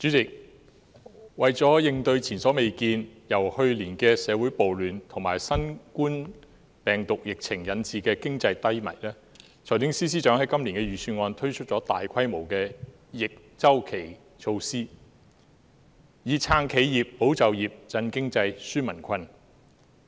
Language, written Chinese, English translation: Cantonese, 主席，為了應對前所未見、由去年的社會暴亂及新冠病毒疫情引致的經濟低迷，財政司司長在今年的財政預算案推出了大規模的逆周期措施，以"撐企業、保就業、振經濟、紓民困"。, President to address the economic downturn arising from the social riots last year and the novel coronavirus epidemic the Financial Secretary rolled out counter - cyclical measures of a massive scale in the Budget with a view to supporting enterprises safeguarding jobs stimulating the economy and relieving peoples burden